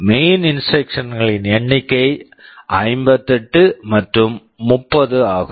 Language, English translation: Tamil, The number of main instructions are 58 and 30